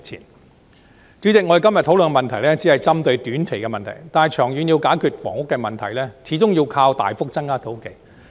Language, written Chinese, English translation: Cantonese, 代理主席，我們今天討論的只是針對短期的問題，但長遠要解決房屋問題，始終要靠大幅增加土地。, Deputy President our discussion today only focuses on short - term issues . To resolve the housing problem in the long term though we ultimately need a dramatic increase in land